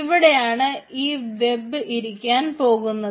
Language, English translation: Malayalam, that is where this particular ah web app will reside